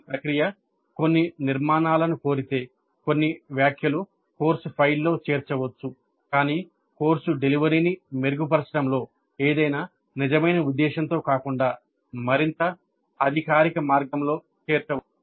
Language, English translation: Telugu, If the process demands that certain constructions, certain comments be included in the course file, they might do it but again in a more formal way rather than with any real intent at improving the course delivery